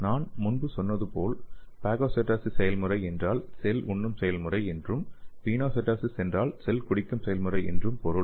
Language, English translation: Tamil, As I told earlier the phagocytosis process means cell eating process and Pinocytosis means cell drinking process